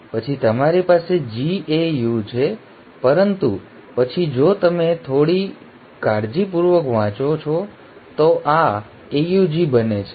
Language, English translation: Gujarati, Then you have GAU, but then if you read a little carefully this becomes AUG